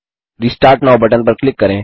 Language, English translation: Hindi, Click on Restart now button